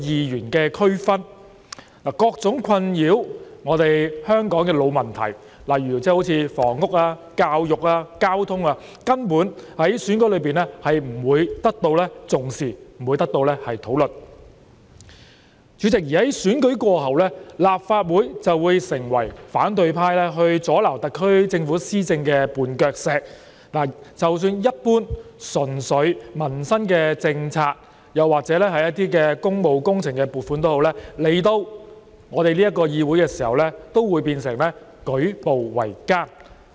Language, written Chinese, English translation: Cantonese, 然而，困擾香港的各種老問題，例如房屋、教育、交通等，在選舉中根本不會得到重視和討論；而在選舉過後，主席，立法會就會成為反對派阻撓特區政府施政的絆腳石，即使一般純粹民生政策或工務工程撥款申請，來到我們這個議會時也會變得舉步維艱。, However deep - seated problems plaguing Hong Kong such as housing education transport were not taken seriously and discussed . After the elections President the Legislative Council would become the stumbling block used by the opposition camp to obstruct the SAR Governments policy implementation . Even some policies concerning purely peoples livelihood or funding applications for public works projects would have great difficulties in getting approval in this Legislative Council